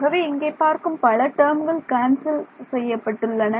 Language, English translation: Tamil, So, there is a lot of terms that can that we can see are getting cancelled from here